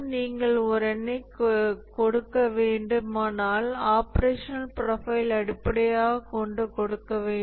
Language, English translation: Tamil, And the if you have to give a single number we will have to give it based on its operational profile